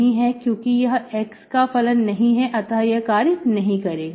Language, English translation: Hindi, This is not function of x, so this will not work